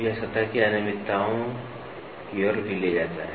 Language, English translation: Hindi, So, this also leads to surface irregularities